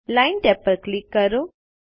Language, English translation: Gujarati, Click the Line tab